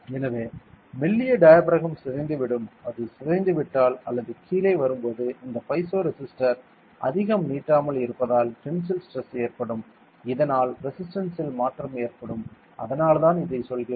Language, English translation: Tamil, So, the thin diaphragm will deform and when it deforms or it comes down, what happens is this since this piezo resistor does not stretch much there will be tensile stress and this will goes the change in resistance and that is why we are saying that this is piezoresistive sensor ok